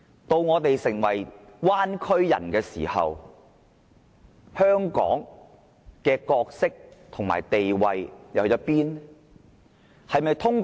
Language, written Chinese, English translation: Cantonese, 當我們成為"灣區人"時，香港的角色和地位會變成怎樣？, When we become citizens of the Bay Area what will be the role and status of Hong Kong?